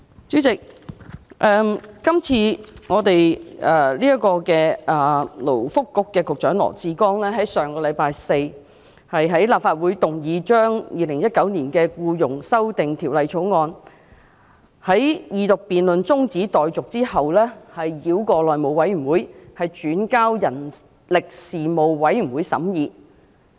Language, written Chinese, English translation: Cantonese, 主席，勞工及福利局局長羅致光在上星期四的立法會會議上，動議《條例草案》的二讀辯論中止待續，但繞過內務委員會，轉交人力事務委員會審議。, President at the Council meeting on Thursday the Secretary for Labour and Welfare Dr LAW Chi - kwong made a request to move that the Second Reading debate on the Bill be adjourned and the Bill be referred to the Panel on Manpower for scrutiny bypassing the House Committee